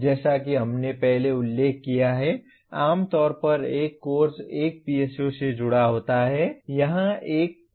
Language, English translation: Hindi, As we mentioned earlier, generally a course gets associated with one PSO